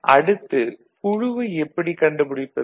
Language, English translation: Tamil, Then how we found the group